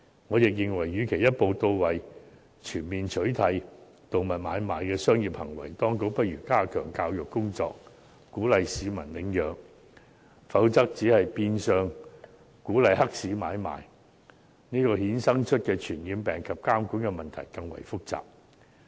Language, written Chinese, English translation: Cantonese, 我認為與其一步到位，全面取締動物買賣的商業行為，當局不如加強教育工作，鼓勵市民領養，否則只是變相鼓勵黑市買賣，而由此衍生的傳染病及監管問題更為複雜。, In my opinion instead of achieving the goal in one step by imposing a total ban on commercial activity of animal trading the authorities should step up education and encourage people to adopt animals . Otherwise the ban will only encourage animal trading in the black market and give rise to more complicated problems such as infectious disease and supervision